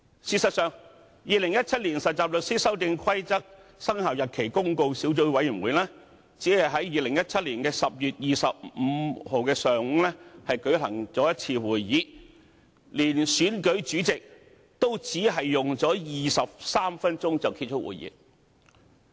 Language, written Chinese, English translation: Cantonese, 事實上，《〈2017年實習律師規則〉公告》小組委員會只是在2017年10月25日上午舉行了一次會議，連同選舉主席也只是用了23分鐘便結束會議。, As a matter of fact the Subcommittee on Trainee Solicitors Amendment Rules 2017 Commencement Notice only held one meeting in the morning on 25 October 2017 and the duration of the entire meeting including the election of the Chairman was only 23 minutes